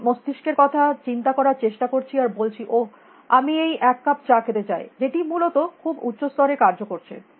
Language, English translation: Bengali, I tend to think of my brain and say, oh, I want to have this cup of tea which is operating at a very higher level essentially